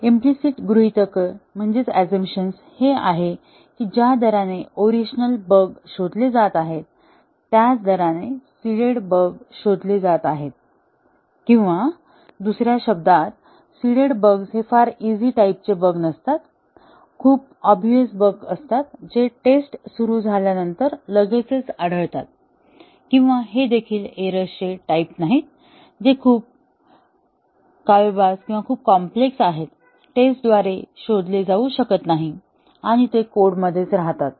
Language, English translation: Marathi, The implicit assumption is that, the rate at which the original bugs are getting detected is the same as the rate at which the seeded bugs are getting detected; or in other words, the seeded bugs are not too easy type of bug, too obvious bugs, which get detected almost immediately after the testing starts; or these are also neither the type of bugs that are too insidious or too complex, not to be detected by the test and they remain in the code